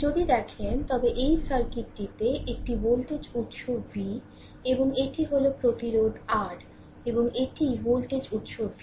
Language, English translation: Bengali, If you look in to the, if you look into the, this circuit that this is your this is voltage source v, and this is the resistance R right, and this is the voltage source v